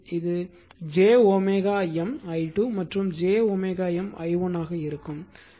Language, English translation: Tamil, So, it will be j omega M i 2 plus minus and j omega l